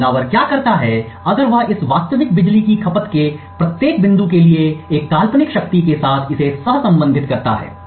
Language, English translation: Hindi, So, what the attacker does if that for each point in this real power consumption he correlates this with a hypothetical power